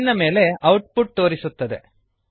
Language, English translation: Kannada, The output is displayed on the screen